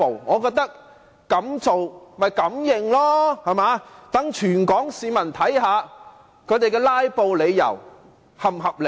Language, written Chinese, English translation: Cantonese, 我覺得敢做便要敢認，讓全港市民看看他們"拉布"的理由是否合理。, I think if they have the guts to do it they should have the guts to admit it so that all the people of Hong Kong can see if their filibustering is justified or not